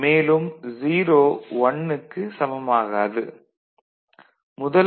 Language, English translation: Tamil, So, x plus 1 is equal to 1